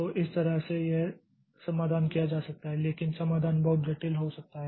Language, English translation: Hindi, So, that way this solution can be done but the solution becomes pretty complex